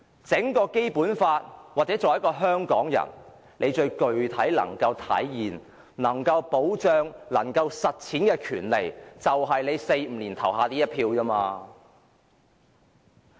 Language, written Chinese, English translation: Cantonese, 在《基本法》下，作為香港人最具體能體現、保障和實踐的權利，就是在每4或5年投下的一票。, Of all the rights enshrined in the Basic Law the one which is given the greatest protection and which Hong Kong people can most concretely exercise and put into practice is supposed to be the right to vote once every four or five years